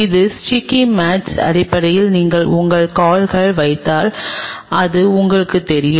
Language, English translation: Tamil, This is sticky mats are basically if you put your feet it is kind of you know